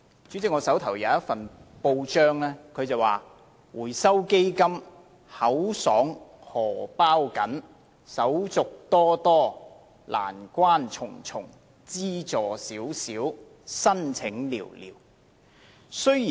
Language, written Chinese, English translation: Cantonese, 主席，我手上有一份報章報道，內容是"回收基金口爽荷包緊，手續多多，難關重重，資助少少，申請寥寥"。, President I have a newspaper report here which says The Fund is generous in slogans but tight - fisted in approval marked by formalities hurdles meager grants and very few applications